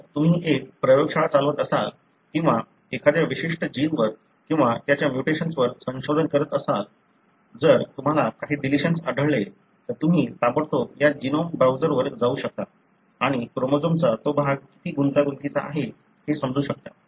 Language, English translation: Marathi, So, if you are a, you know, if you are running a lab or doing a research on a particular gene or its mutation, if you found any deletions you can immediately go to this genome browser and understand how complex that region of the chromosome is